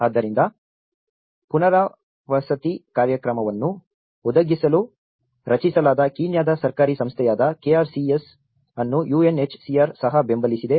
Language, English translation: Kannada, So, UNHCR have also supported that the KRCS which is the Kenyan Government Agency, which has been constituted to provide the resettlement program and they have given some kind of support